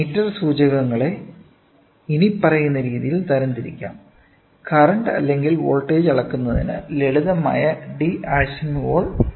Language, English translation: Malayalam, Meter indicators can be categorized as follows; simple D’Arsonval type of measure current or voltage type of measure current or voltage